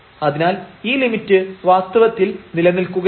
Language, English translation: Malayalam, So, this limit in fact, does not exist